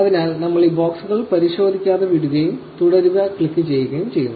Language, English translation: Malayalam, So, we just leave these boxes unchecked and we click continue